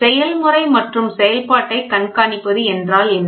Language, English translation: Tamil, What is monitoring of a process and operation